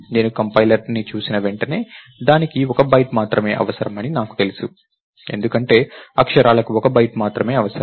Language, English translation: Telugu, The moment I a compiler looks at it, it knows that it needs only one byte, because characters required only one byte